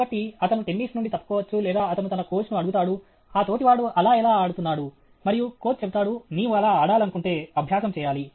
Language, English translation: Telugu, So, he may either drop from tennis or he will ask his coach how that fellow is playing like that, and the coach will say, if you have to play like that fellow, you have to practice